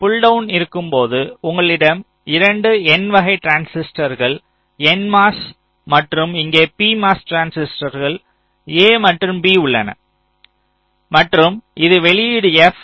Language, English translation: Tamil, so in the pull down you have the two n type transistors, n mos, and here you have the p mos, transistors a and b, and this is the output